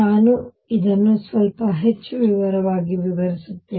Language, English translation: Kannada, Let me explain this little more in details